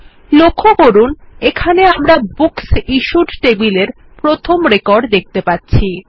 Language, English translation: Bengali, Notice here, that we are seeing the first record in the Books Issued Table